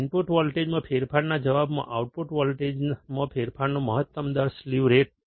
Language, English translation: Gujarati, Slew rate is the maximum rate of change in the output voltage in response to the change in input voltage